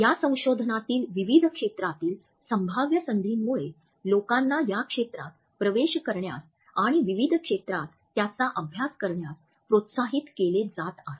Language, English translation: Marathi, The potential of this research has encouraged people from various fields to enter this area and to study it in diverse fields